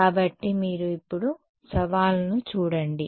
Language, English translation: Telugu, So, you see the challenge now